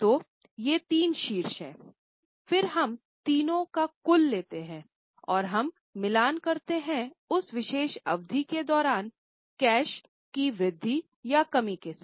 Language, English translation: Hindi, Then we take the total of the three and that we match with the increase or decrease of cash during that particular period